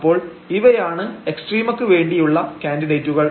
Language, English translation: Malayalam, So, these are the candidates now for the extrema